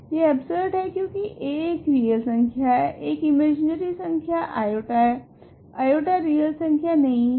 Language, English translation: Hindi, This is absurd because a is a real number, i is a imaginary number, i is not a real number